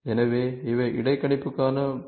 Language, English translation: Tamil, So, these are the points for interpolation